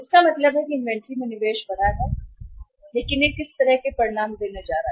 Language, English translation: Hindi, Means that increased investment in the inventory is going to give what kind of results